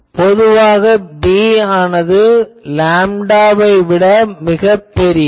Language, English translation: Tamil, So, generally the bs are taken much larger than lambda